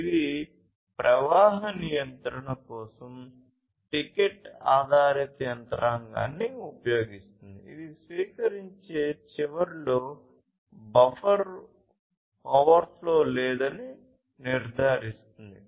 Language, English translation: Telugu, It uses token based mechanism for flow control, which ensures that there is no buffer overflow at the receiving end